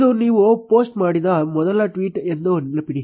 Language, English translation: Kannada, Remember that this is the first tweet, which you posted